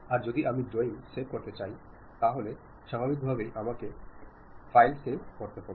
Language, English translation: Bengali, I would like to save the drawing, then naturally I have to go file save as